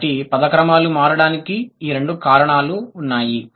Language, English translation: Telugu, So, these are the two reasons why the word orders are changing